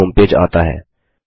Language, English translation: Hindi, The google home page comes up